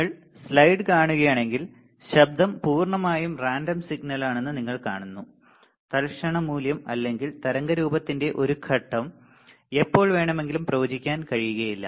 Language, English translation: Malayalam, So, if you see the slide, you see that noise is purely random signal, the instantaneous value or a phase of waveform cannot be predicted at any time